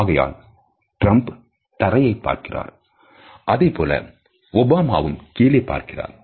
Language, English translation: Tamil, So, you will notice that Trump is looking down and Obama is looking down